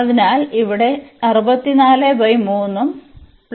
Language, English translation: Malayalam, So, here 64 by 3 and plus 64